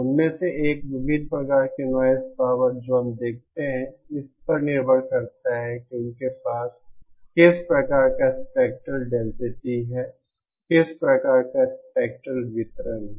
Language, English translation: Hindi, One of them, various kinds of noise power that we see depends on what kind of spectral density they have, what kind of spectral distribution they have